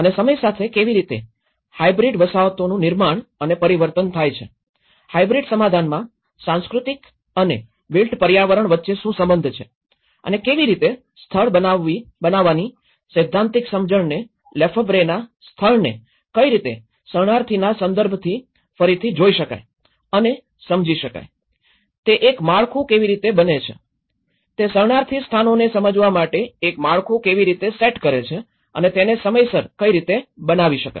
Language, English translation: Gujarati, And how hybrid settlements are produced and transformed over time, what is the relationship between the cultural and the built environments in a hybrid settlement and how the theoretical understanding of this production of space the handle Lefebvreís space could be relooked in a refugee context and how it could be understood, how it becomes a framework, how it sets a framework to understand the refugee places and how they have been produced in time